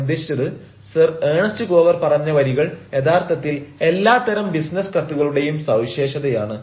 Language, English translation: Malayalam, i mean the lines which have been said by sir ernest gower is actually the quintessa of all sorts of business letters you will find